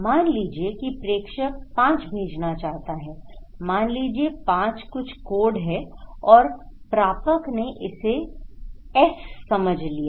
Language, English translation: Hindi, Let ‘s say sender is sending 5, want to say that okay this is 5 some code and receiver decoded it as S